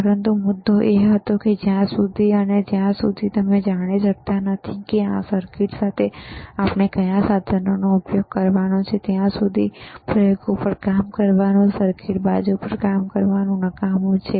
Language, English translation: Gujarati, But the point was that, until and unless you are able to know that what are the equipment’s that we have to use with this circuit, it is useless to start you know working on experiments, working on the circuit side,